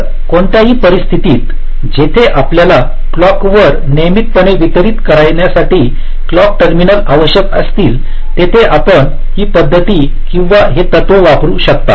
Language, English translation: Marathi, so, in any scenario where you need the clock terminals to be distributed regularly across the chip, you can use this method or this principle